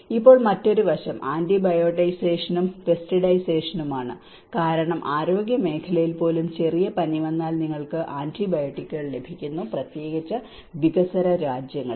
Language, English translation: Malayalam, And now another aspect is antibiotisation and pesticidization because in the health sector even you go for a small fever, you get antibiotics especially in developing countries